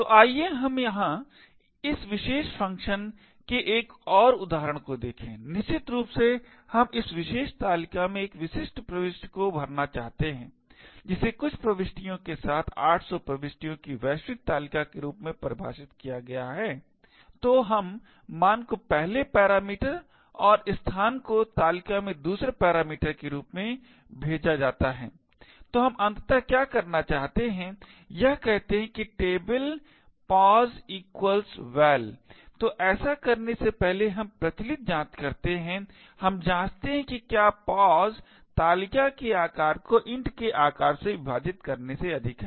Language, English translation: Hindi, So let us look at another example of this particular function over here where essentially we want to fill one particular entry in this particular table defined as global table of 800 entries with some value, so we pass the value as the first parameter and the position in the table as the 2nd parameter, so what we want to do eventually is to say that table of pos equal to val, so before doing this we do the customary checks, we check that if pos is greater than size of table divided by size of int